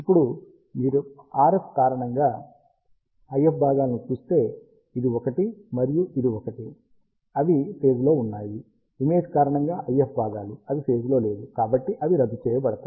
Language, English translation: Telugu, Now, if you see IF components because of the RF, this one and this one, they are in phase, the IF components because of the image, they are out of phase, so they will cancel out